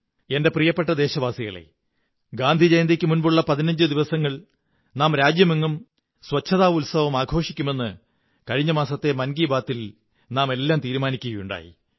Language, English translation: Malayalam, My dear countrymen, we had taken a resolve in last month's Mann Ki Baat and had decided to observe a 15day Cleanliness Festival before Gandhi Jayanti